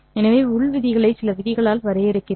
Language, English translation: Tamil, So, I define the inner product by certain rules